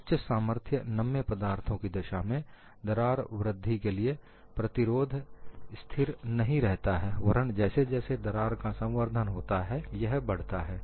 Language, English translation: Hindi, In the case of high strength ductile materials, resistance to crack growth does not remain constant, but increases as crack grows